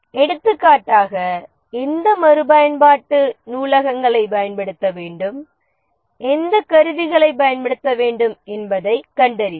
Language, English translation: Tamil, For example finding out which reusable libraries to use, which tools to use, etc